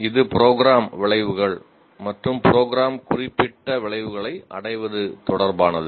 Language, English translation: Tamil, It is related to the attainment of program outcomes and program specific outcomes